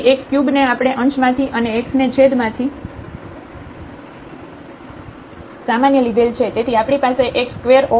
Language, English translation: Gujarati, So, x cube we have taken common in the numerator and x here from the denominator